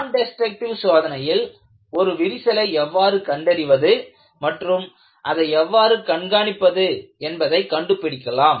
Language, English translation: Tamil, In Nondestructive testing, you will have to find out, how to detect a crack and also how to monitor the crack